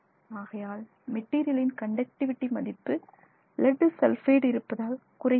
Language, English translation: Tamil, Therefore, the conductivity of this material decreases with the presence of lead sulfide